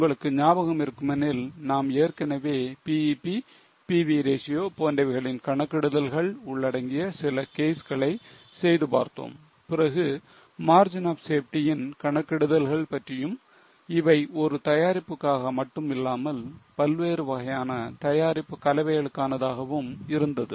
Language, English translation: Tamil, If you remember, we have already done a few cases which involve calculation of BEP, calculation of PV ratio, then calculation of margin of safety, not only for one product but also for various types of product mix, then choosing which product mix is more suitable